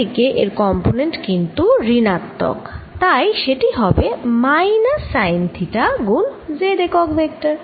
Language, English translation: Bengali, in the z direction it has negative component, so it's going to be minus sine of theta times z